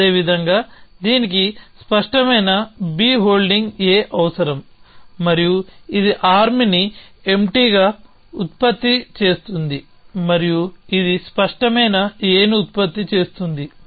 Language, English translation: Telugu, Likewise this needs clear B holding A and it produces arm empty and its produces clear A